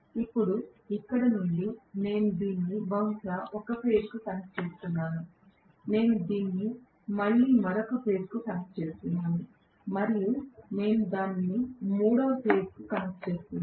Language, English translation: Telugu, Now, from here I am connecting this probably to one of the phases, I am again connecting this to another phase and I am connecting it to the third phase right